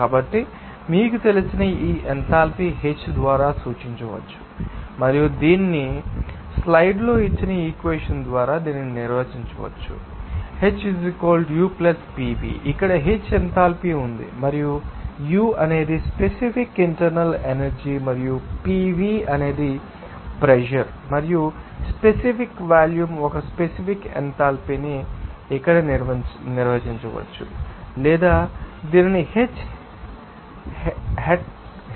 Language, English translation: Telugu, So, this enthalpy you know can be denoted by H and it can be done it can be defined by this equation given in the slides here H is in enthalpy and U is the specific internal energy and PV is the pressure and specific volume has a specific enthalpy can be defined as here as or it can be denoted by H hat